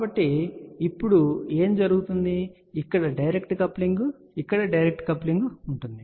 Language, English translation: Telugu, So, what will happen there will be now, direct coupling here direct coupling here